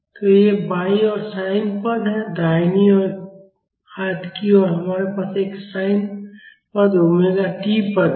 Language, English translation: Hindi, So, these are the sin terms on left hand side and the right hand side we have one sin term sin omega t term